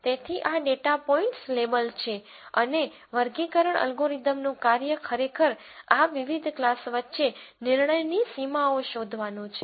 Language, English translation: Gujarati, So, these are labelled data points and the classification algorithms job is to actually find decision boundaries between these different classes